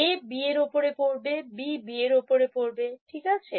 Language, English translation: Bengali, A falling on B this is B falling on B right